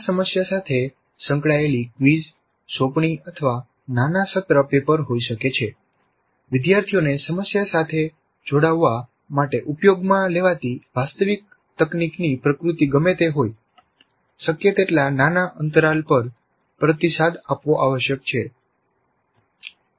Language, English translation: Gujarati, And this engage in the problem could be a quiz, an assignment or a small term paper, whatever be the nature of the actual technique use to have the students engage with the problem, feedback must be provided at as much small interval as possible